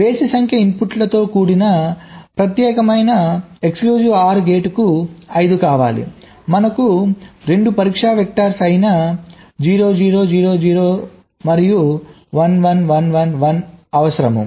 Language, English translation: Telugu, but for an exclusive or gate with odd number of inputs, lets say five we need only two test vectors: zero, zero, zero, zero, zero and one, one, one, one, one